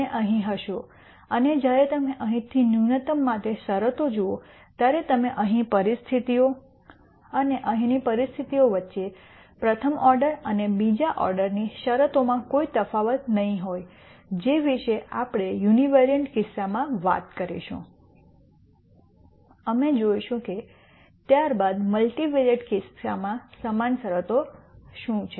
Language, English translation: Gujarati, And you will be here and from here when you look at the conditions for minimum there will not be any difference between the conditions here and the conditions here in terms of the first order and second order conditions that we talked about in the univariate case we will see what the equivalent conditions are in the multivariate case subsequently